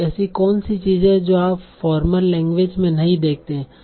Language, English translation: Hindi, So what are the things that you do not see in formal language